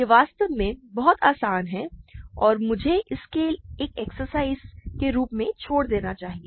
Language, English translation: Hindi, This is actually very easy and I should leave this as an exercise for you to check the details